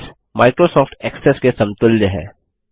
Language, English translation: Hindi, Base is the equivalent of Microsoft Access